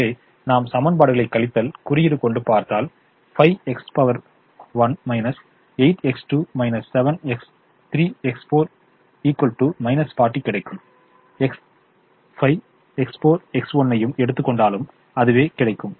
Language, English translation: Tamil, so if we take the equations as minus five, x one, minus eight, x two, minus seven, x three plus x five is equal to minus forty